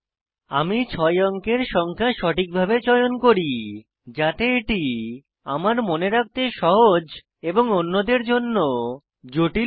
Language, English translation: Bengali, I am entering a 6 digit number now, I have to choose it properly, it should be easy for me to remember and not so easy for others